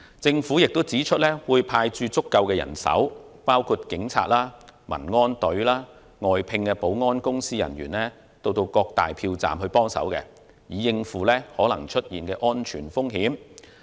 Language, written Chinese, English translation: Cantonese, 政府亦表示會派駐足夠人手，包括警察、民安隊和外聘保安公司人員到各票站協助，以應付可能出現的安全風險。, The Government has also indicated that it would deploy sufficient manpower including police officers Civil Aid Service members and personnel of external security companies to offer assistance at polling stations in order to cope with all possible security risks